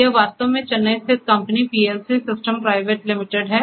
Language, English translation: Hindi, It is actually a Chennai based company PLC systems private limited